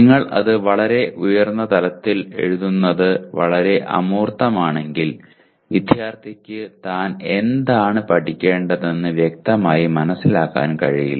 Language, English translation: Malayalam, If it is too abstract that is at a very high level if you are writing, the student will not be able to understand clearly what he is expected to learn